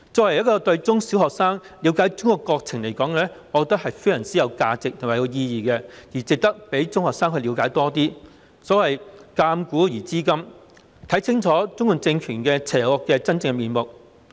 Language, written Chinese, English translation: Cantonese, 為了令中小學生了解中國國情，我覺得這是非常有價值及有意義的，值得讓中學生了解更多，所謂鑒古而知今，藉此讓學生看清楚中共政權邪惡的真面目。, To enable primary and secondary students to understand the situation of China I think this is extremely valuable and meaningful and it is worthwhile to let secondary students learn more . As the saying goes the lessons of history teach us about the situation today and students will see clearly the true colours of the evil CPC regime